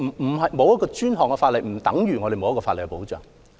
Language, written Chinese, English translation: Cantonese, 但是，沒有專項法例並不等於沒有法律保障。, However the absence of dedicated legislation does not mean that no legal protection is provided